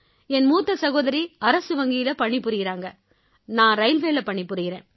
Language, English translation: Tamil, My first sister is doing a government job in bank and I am settled in railways